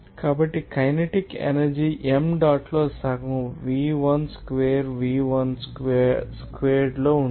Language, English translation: Telugu, So, kinetic energy that will be half into m dot into v2 square – v1 squared